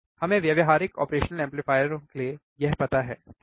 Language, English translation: Hindi, We have we know this for the practical operation amplifiers, right